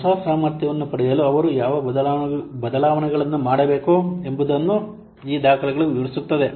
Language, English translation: Kannada, This document it explains what changes they have to be made in order to obtain the new capability